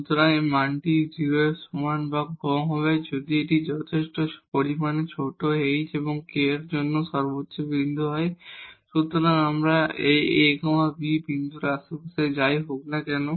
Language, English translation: Bengali, So, this value will be less than equal to 0 if this is a point of maximum for all sufficiently small h and k